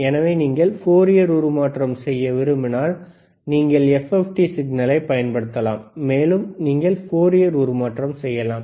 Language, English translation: Tamil, So, if you want to do Fourier transform, you can use FFT signal and you can do Fourier transform